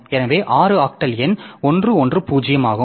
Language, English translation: Tamil, So the octal number is seven